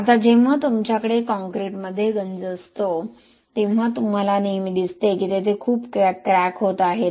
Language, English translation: Marathi, Now when you have corrosion in concrete you always see that there is a lot of cracking, concrete gets cracked